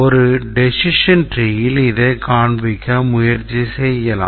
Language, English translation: Tamil, You can try representing this in a decision tree